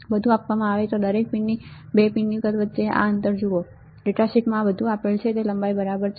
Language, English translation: Gujarati, Everything is given everything is given you see this spacing between 2 pins size of each pin right the length everything is given in the data sheet